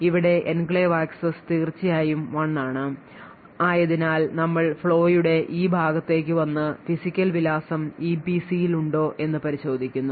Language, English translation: Malayalam, So in this case the enclave access is indeed 1 so we come to this part of the flow and check a whether the physical address is in the EPC yes